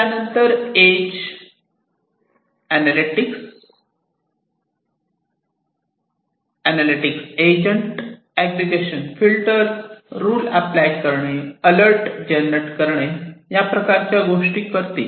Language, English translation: Marathi, There after this edge agent analytics agent will do things like aggregation filtering applying the rules generating alerts and so on